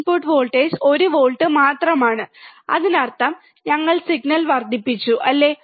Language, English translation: Malayalam, Input voltage is one volt right; that means, that we have amplified the signal, right